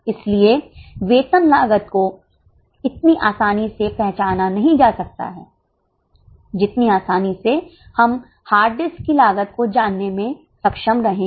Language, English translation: Hindi, So, salary costs cannot be as easily identified as we are able to know the cost of hard disk